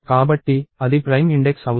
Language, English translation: Telugu, So, that is prime index